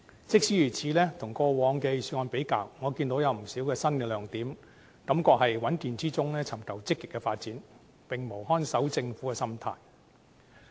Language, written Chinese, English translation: Cantonese, 即使如此，跟過往的預算案比較，我看到有不少新亮點，感覺是在穩健之中尋求積極的發展，並無看守政府的心態。, Nevertheless compared with the past Budgets I see that there are not a few good ideas in this Budget and I feel that the Government is steadily seeking sound and progressive development without the mindset of a caretaker government